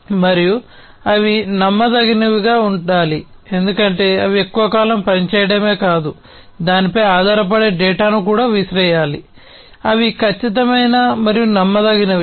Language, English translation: Telugu, And they have to be reliable, because not only they have to operate for long durations, but will also have to throw in data which can be relied upon; they have to be accurate and reliable